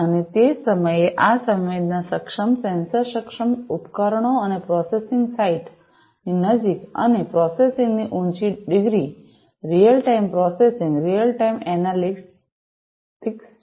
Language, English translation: Gujarati, And, also at the same time these sensing enabled, sensor enabled, devices and processing close to the site of sensing and you know higher degrees of processing, real time processing, real time analytics